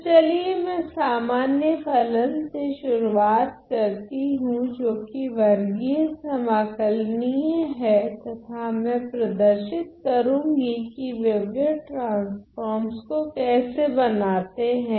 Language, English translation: Hindi, So, let me start with a general function which is square integrable and I am going to describe how to construct wavelet transform